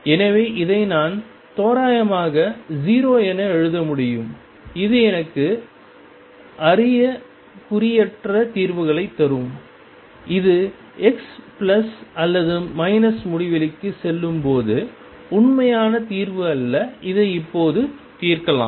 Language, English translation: Tamil, So, I can approximately write this as 0 that will give me the asymptotic solutions it is not the true solution just the solution when x goes to plus or minus infinity now let us solve this